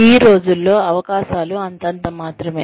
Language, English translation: Telugu, Opportunities, these days are endless